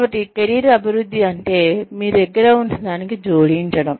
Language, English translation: Telugu, So, career development is, adding on, to whatever you have